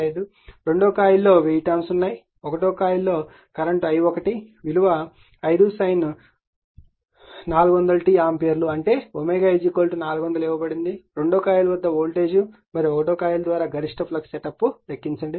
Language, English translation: Telugu, 5, coil 2 has 1000 turns, if the current in coil 1 is i 1 is given 5 sin 400 t that is omega is equal to 400 right, ampere determine the voltage at coil 2 and the maximum flux setup by coil 1